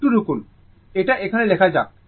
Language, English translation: Bengali, Just, just hold on, let me write here